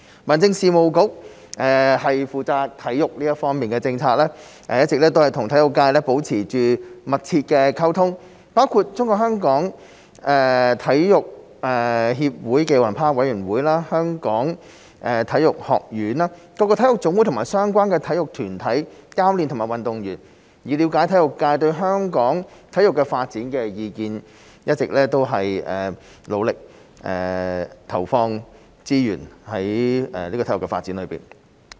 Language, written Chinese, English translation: Cantonese, 民政事務局負責體育方面的政策，一直與體育界保持密切溝通，包括中國香港體育協會暨奧林匹克委員會、香港體育學院、各個體育總會和相關體育團體、教練和運動員，以了解體育界對香港體育發展的意見，一直努力投放資源於體育發展上。, The Home Affairs Bureau HAB which is responsible for the sports policy has all along maintained close communication with the sports sector including the Sports Federation Olympic Committee of Hong Kong China the Hong Kong Sports Institute HKSI national sports associations NSAs sports organizations coaches and athletes to listen to their views on Hong Kongs sports development and provide considerable resources to sports development